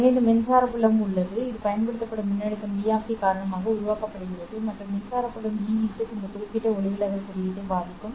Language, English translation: Tamil, So, there is this electric field which is generated because of the applied voltage V of T and that electric field EZ will affect this particular refractive index